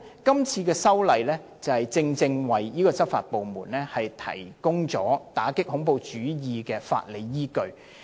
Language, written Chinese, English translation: Cantonese, 今次修訂法例，正正就是要為執法部門提供打擊恐怖主義的法理依據。, The reason for the current legislative amendment exercise is precisely to provide a legal basis for law enforcement agencies to combat terrorism